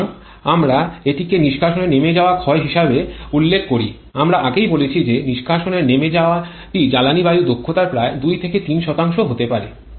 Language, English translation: Bengali, So, this is what we refer to as a exhaust blowdown loss as we have mentioned earlier the exhaust blowdown can be about 2 to 3% of fuel air efficiency